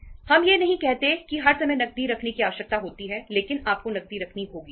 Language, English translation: Hindi, We donít uh say all the times require the kept cash but you have to keep the cash